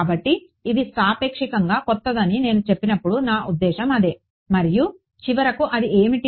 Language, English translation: Telugu, So, that is what I mean when I say it is relatively new and finally, what is it